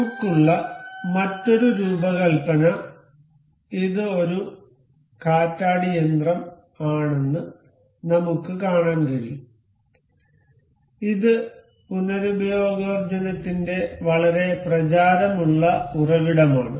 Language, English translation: Malayalam, Another design we have is we can see it is wind turbine, it is a very popular source of renewable energy